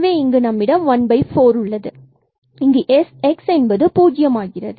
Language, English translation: Tamil, So, here we will have 1 over 4 and then here again x that will become 0